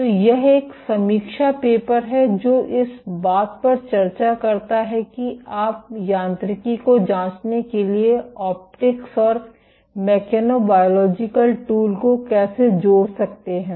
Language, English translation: Hindi, So, this is a review paper which discusses how you can combine optics and mechanobiological tools for probing mechanobiology